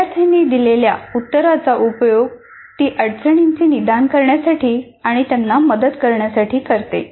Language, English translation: Marathi, And she uses the answer given by the student to diagnose the difficulty and help them